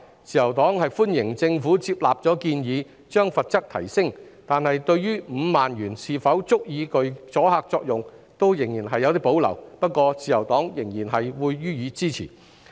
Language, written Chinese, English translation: Cantonese, 自由黨歡迎政府接納建議，提升罰則，但對於5萬元是否足以具阻嚇作用仍然有所保留，不過，自由黨仍然會予以支持。, The Liberal Party appreciates that the Government has accepted the proposal to raise the penalty yet we have reservation about whether the penalty of 50,000 will be a sufficient deterrent . Nonetheless the Liberal Party will still support the amendment